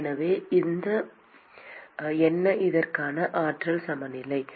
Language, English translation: Tamil, So, what is the energy balance for this